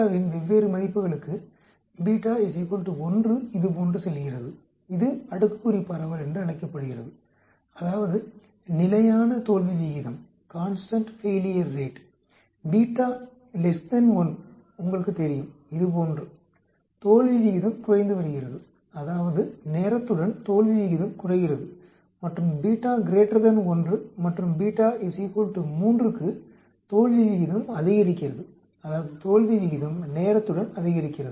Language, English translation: Tamil, For different values of beta, beta is equal to 1, goes like this is called the exponential distribution that is constant failure rate, beta less than 1 like this you know decreasing failure rate that is with time the failure rate goes down and beta greater than 1 and say for beta equal to 3 increasing failure rate that means failure rate will increase with time